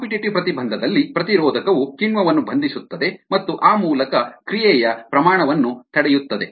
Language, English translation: Kannada, in the competitive inhibition, the inhibitor binds the enzyme and there by inhibits the rate of the reaction